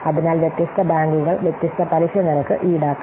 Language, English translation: Malayalam, So, different banks may charge different interest rates